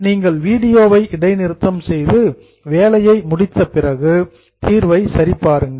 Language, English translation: Tamil, You can pause your video, complete the work and then only look, have a look at the solution